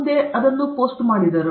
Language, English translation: Kannada, Next, post it okay